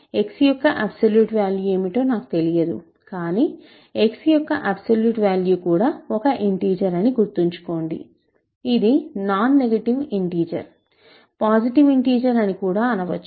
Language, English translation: Telugu, I do not know what absolute value of x is, but remember absolute value of x will be also an integer in fact, a non negative integer; because; positive integer even